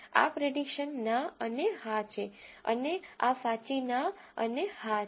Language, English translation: Gujarati, This is the predicted no and yes and these are the true no and yes